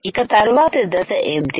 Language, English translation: Telugu, what is the next step